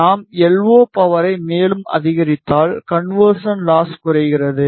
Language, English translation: Tamil, If we further increase the LO power, the conversion loss degrades